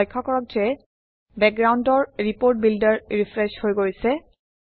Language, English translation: Assamese, Notice that the background Report Builder has refreshed